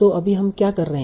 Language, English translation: Hindi, So right now what we are assuming